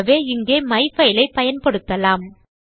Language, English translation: Tamil, So well use myfile here